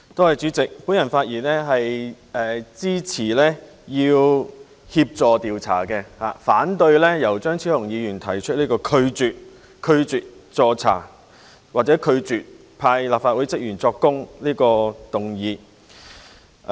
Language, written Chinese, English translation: Cantonese, 我發言支持協助調查，反對由張超雄議員提出拒絕助查或拒絕讓立法會職員出庭作供的議案。, I rise to speak in support of assisting in the investigation and I disapprove of the motion proposed by Dr Fernando CHEUNG on refusing to assist in the investigation or to allow staff members of the Legislative Council to give evidence in court